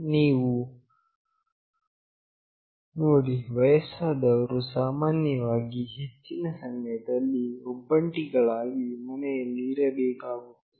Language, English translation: Kannada, You see when old people generally have to stay back in their house alone most of the time